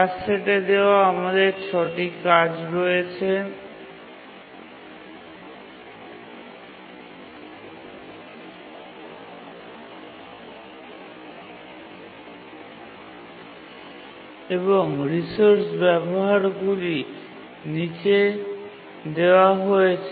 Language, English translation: Bengali, We have six tasks and their resource uses is indicated here